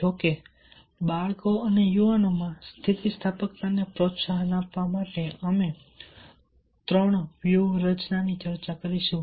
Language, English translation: Gujarati, however, there are three strategies will be discussing for promoting resilience in children and youth